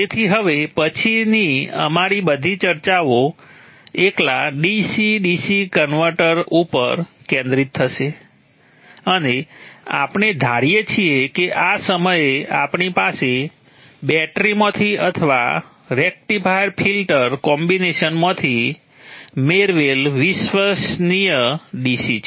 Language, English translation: Gujarati, So from now on all our discussions will be focused on the DC DC converter alone and we assume that at this point we have a reliable DC obtained either from battery or from the rectifier filter combination